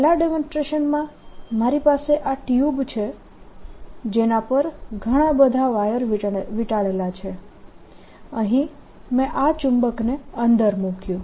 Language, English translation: Gujarati, in the first demonstration i have this tube on which a lot of wire has been wound